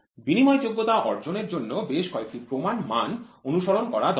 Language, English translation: Bengali, In order to achieve the interchangeability several standards need to be followed